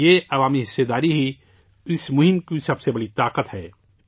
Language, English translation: Urdu, This public participation is the biggest strength of this campaign